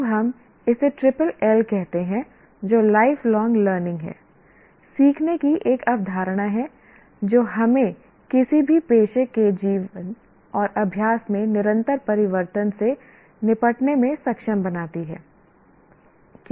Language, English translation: Hindi, Now we call it triple L, that is lifelong learning, is a concept of learning that enables us to deal with continuous change in the life and practice of any professional